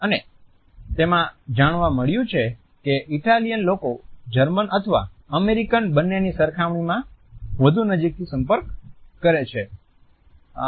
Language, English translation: Gujarati, And which had found that Italians interact more closely in comparison to either Germans or American